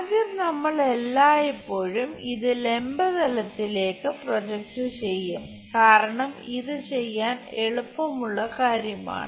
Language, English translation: Malayalam, First, we always project it on to the vertical plane because, that is easy thing to do